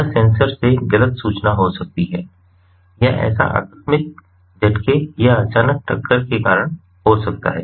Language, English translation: Hindi, so that may be miscommunication from the sensor or that may have been due to an accidental jerk or sudden bump